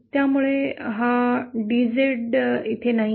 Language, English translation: Marathi, So this DZ is not there